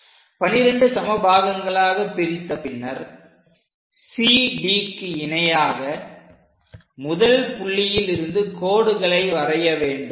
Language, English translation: Tamil, After division of these 12 equal parts, what we will do is, through 1, through the first point draw a line parallel to CD